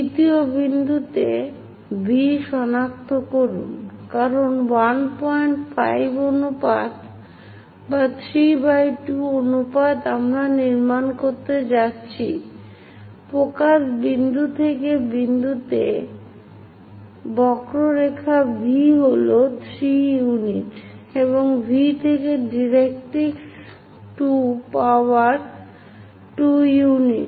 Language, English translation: Bengali, 5 ratio or 3 by 2 ratio we are going to construct, from focus point all the way to the point on the curve V is 3 units and from V to directrix 2 power to 2 units